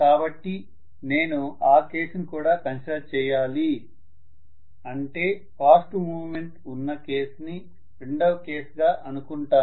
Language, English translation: Telugu, So maybe I would consider that case as well, very fast movement which is case 2